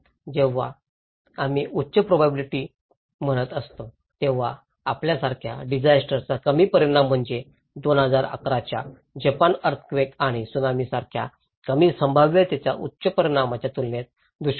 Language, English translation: Marathi, When we are saying high probability, low consequence of disasters like you can say the drought compared to low probability high consequences like the 2011 Japan earthquake and Tsunami